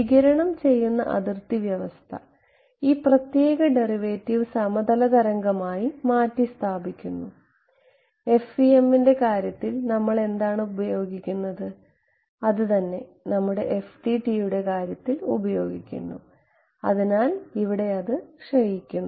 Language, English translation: Malayalam, The radiation boundary condition, where we replace this partial the special derivative by the plane wave thing the; what we have we use in the case of FEM we use in the case of FDTD right, so, decays over here